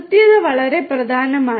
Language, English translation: Malayalam, Correctness is very important